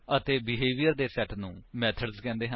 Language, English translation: Punjabi, * And a set of behaviors called methods